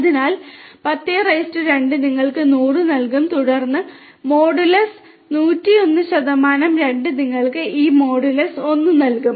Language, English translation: Malayalam, So, 10 ^ 2 will give you 100 and then modulus 101 %2 will give you this mod value of 1